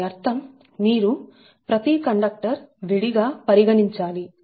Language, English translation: Telugu, that means you have to consider every conductor separately, right